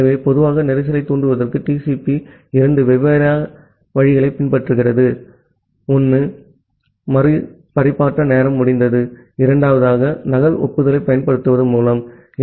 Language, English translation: Tamil, So, in general, TCP follows two different ways to trigger a congestion; one is the retransmission timeout, and the second one is by using a duplicate acknowledgement